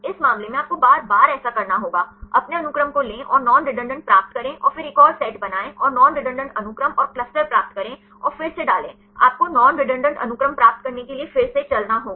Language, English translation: Hindi, In this case, you have to do this again and again; take your sequence and get non redundancy and then make another set and get the non redundant sequences and cluster together and put again, you have to run again to get the non redundant sequences